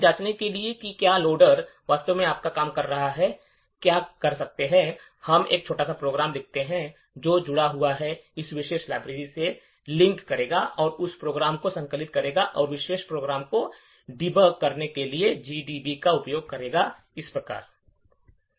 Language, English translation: Hindi, So, in order to check whether the loader is actually doing its job what we can do is we can write a small program which is linked, which will link to this particular library that will compile that program and use GDB to debug that particular program as follows